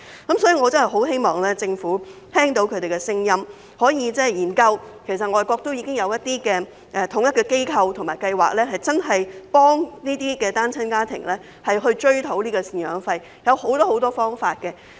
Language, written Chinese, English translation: Cantonese, 因此，我真的希望政府聽到他們的聲音，可以研究仿效外國設立統一的機構和計劃，真正協助這些單親家庭追討贍養費，方法有很多。, For this reason I sincerely hope that the Government can hear their voices consider following the examples of overseas countries by setting up a specialized agency and scheme so as to truly assist such single - parent families in recovering maintenance payments . There are various approaches that can be adopted